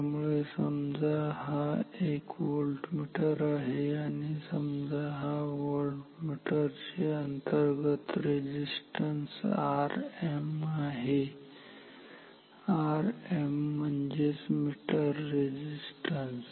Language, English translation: Marathi, So, this is a voltmeter and say the internal resistance of this voltmeter is R m; R m for meter resistance